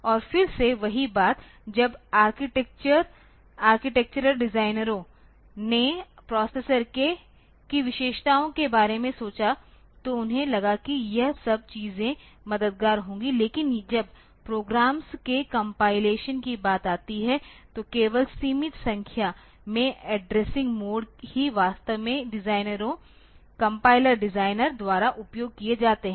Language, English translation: Hindi, And again the same thing the when the architecture designers they thought about the features of the processor they thought that all this things will be helpful, but when it comes to the compilation of programs only a limited number of addressing modes are actually used by the designers by the by the compiler designers